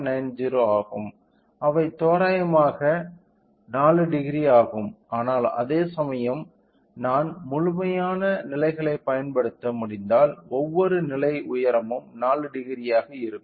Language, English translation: Tamil, 9 degree so, which is approximately 4 degree, but whereas, if I can utilise complete levels then each level height will be